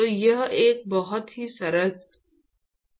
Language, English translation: Hindi, So, this is a very simplistic example